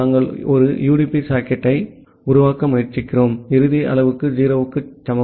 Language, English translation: Tamil, We are specifying because we are trying to create a UDP socket and final parameter is equal to 0